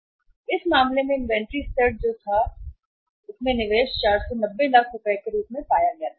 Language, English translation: Hindi, So in this case the inventory level which was or the investment in the inventory level was found to be as 490 lakhs